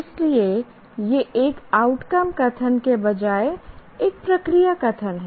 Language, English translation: Hindi, So, this is a process statement rather than an outcome statement